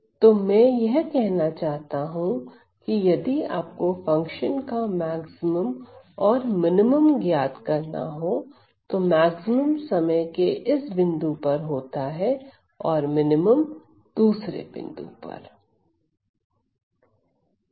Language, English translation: Hindi, So, what I am trying to say here is, if you were to evaluate the maximum and minimum of this function, the maximum is at this time point and the minimum is at this time point respectively